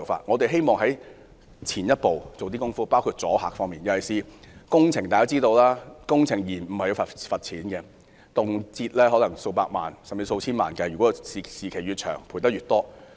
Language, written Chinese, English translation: Cantonese, 以工程延誤為例，工程界人士均知道，工程延誤要罰款，動輒數以百萬甚至千萬元計，拖延時間越長，罰款便越多。, Taking project delays as an example the engineering sector knows that the delays in construction are subject to fines which may amount to millions or even tens of million dollars . The longer the delay is the more fines will be imposed